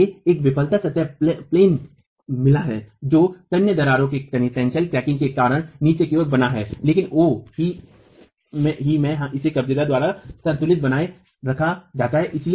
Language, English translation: Hindi, It has got a failure plane that is formed at the bottom because of tensile cracking but equilibrium is maintained by this hinge at at O itself